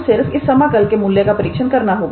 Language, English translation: Hindi, Now, all we have to do is to check the value of this integral